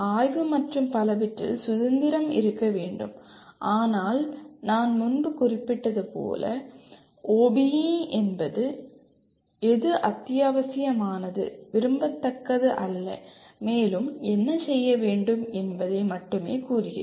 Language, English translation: Tamil, There should be freedom in terms of exploration and so on but as I mentioned earlier this is the OBE only states what is essential, not what is desirable and what more can be done